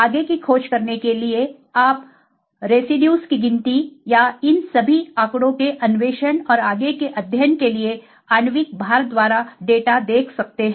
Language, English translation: Hindi, To explore further you can see the data by molecular weight by residue count or by the resolution all these data is available for exploration and further study